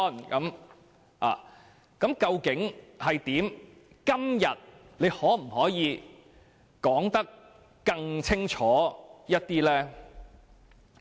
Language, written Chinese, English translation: Cantonese, 局長今天可否說得更清楚一點嗎？, Can the Secretary make it clear today?